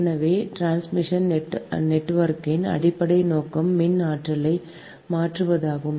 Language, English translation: Tamil, so basic purpose of a transmission network is to transfer electrical energy